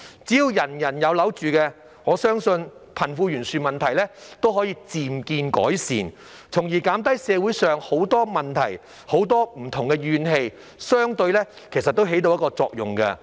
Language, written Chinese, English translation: Cantonese, 只要人人有樓住，我相信貧富懸殊問題也可以漸見改善，從而減低社會很多問題及不同的怨氣，相對來說也起到一定作用。, As long as everyone has accommodation I believe it is possible to see the problem of disparity between the rich and the poor gradually improve which is also to a certain extent effective in reducing many problems and different grievances in society